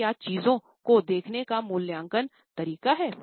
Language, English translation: Hindi, So, it is an evaluatory manner of looking at things